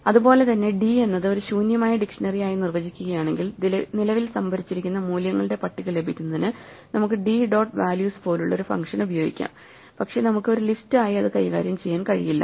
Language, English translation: Malayalam, Likewise if we define d to be an empty dictionary then we can use a function such as d dot values to get the list of values currently stored, but we cannot manipulate d as a list